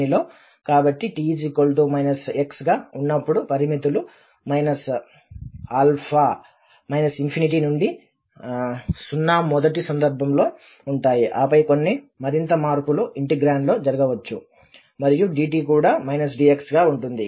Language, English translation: Telugu, So, when t minus x, the limits will become infinity to 0 in this first case and then the some more changes will happen to the integrand and also the dt will be minus dx